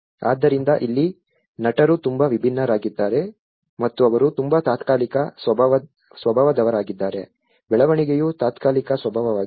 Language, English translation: Kannada, So here, the actors are very different and they are very much the temporal in nature the development is temporary in nature